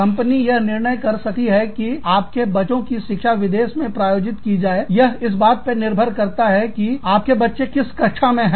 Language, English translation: Hindi, The company may decide, to sponsor your children's education, in a foreign country, depending on, what stage, your children are at